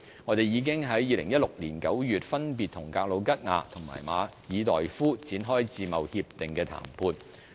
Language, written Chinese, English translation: Cantonese, 我們已經在2016年9月分別與格魯吉亞和馬爾代夫展開自貿協定談判。, We also commenced FTA negotiations with Georgia and Maldives respectively in September 2016